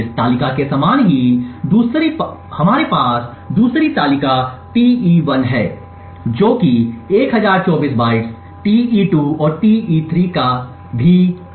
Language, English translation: Hindi, Similar to this table we have the 2nd table Te1 which is also of 1024 bytes, Te2 and Te3